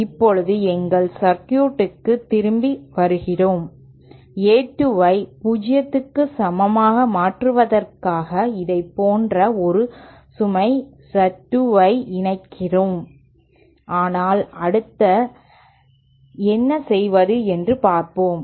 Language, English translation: Tamil, Now coming back to our circuit we saw that in order to make A 2 equal to 0 we simply connect a load Z 2 like this but then what how what do we do next